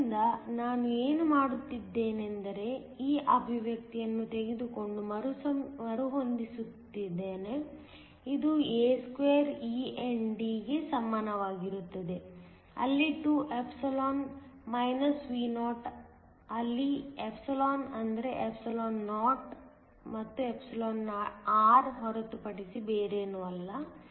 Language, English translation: Kannada, So, all I am doing is taking this expression and rearranging, this equal to a2 e ND where 2ε Vo where ε is nothing but εo and εr